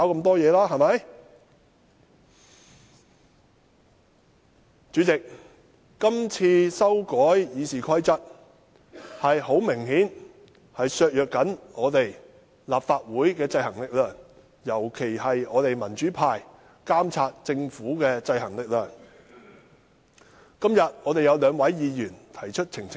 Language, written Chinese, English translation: Cantonese, 代理主席，今次修改《議事規則》顯然會削弱立法會的制衡力量，尤其是我們民主派議員監察政府的制衡力量。, Deputy President the amendments to RoP this time around obviously will undermine the checking power of the Legislative Council particularly that of the pan - democratic Members like us in monitoring the Government